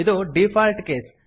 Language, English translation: Kannada, This is the default case